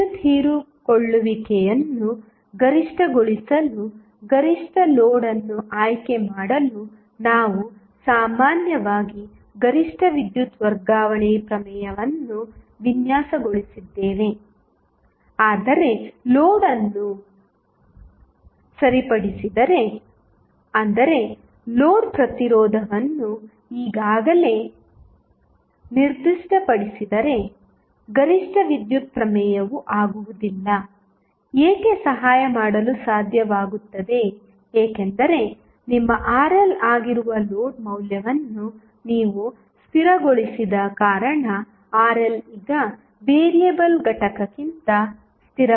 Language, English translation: Kannada, What happens that generally we designed the maximum power transfer theorem to select the optimal load in order to maximize the power absorption, but, if the load is fixed, that means, if the load resistance is already specified, then maximum power theorem will not be able to help why because, since you have fixed the value of load that is your Rl is now fixed rather than the variable component